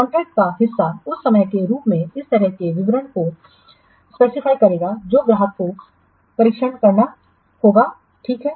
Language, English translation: Hindi, Part of the contract would specify such details at the time that the customer will have to conduct the test